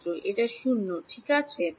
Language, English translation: Bengali, That is 0 right